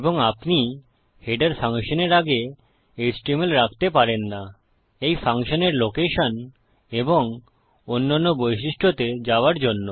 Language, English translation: Bengali, And you cant actually put html before a header function, going to location and other features of this function